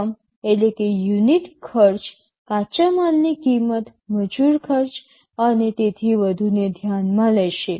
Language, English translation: Gujarati, The unit cost will also consider the cost of the raw materials, labor cost, and so on